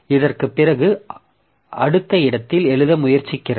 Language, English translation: Tamil, So, it is trying to write on the next location after this